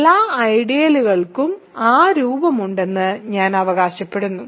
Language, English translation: Malayalam, So, I claim that every ideal has that form